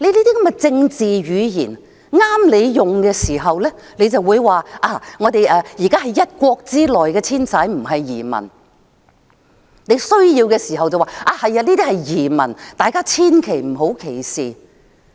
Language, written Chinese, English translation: Cantonese, 這些政治語言，合用的時候，便說單程證申請人是在一國之內遷徙，不是移民；有需要的時候，便說這些人是移民，大家千萬不要歧視他們。, When fit for purpose such political lingo describes the applicants holding OWPs as migrants within a country instead of immigrants . When necessary these people are said to be immigrants and we are strongly advised not to discriminate against them